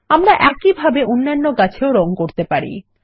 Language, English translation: Bengali, We can color the other trees in the same way